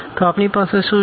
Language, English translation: Gujarati, So, what do we have